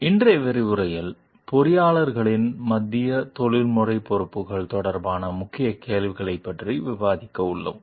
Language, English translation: Tamil, In today s module, we are going to discuss about the Key Questions related to the Central Professional Responsibilities of the Engineers